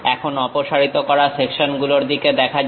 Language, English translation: Bengali, Now, let us look at removed sections